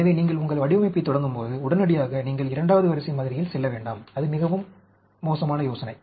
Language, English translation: Tamil, So, when you start your design, you do not immediately jump into second order model; that is a very bad idea